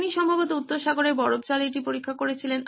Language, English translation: Bengali, He tested it probably in the icy waters of North Sea